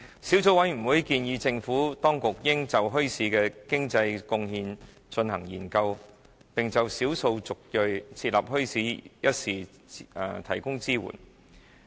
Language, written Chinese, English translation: Cantonese, 小組委員會建議政府當局應就墟市的經濟貢獻進行研究，並就少數族裔設立墟市一事提供支援。, The Subcommittee recommends the Administration to conduct studies on the economic contributions made by bazaars and provide support for ethnic minorities to establish bazaars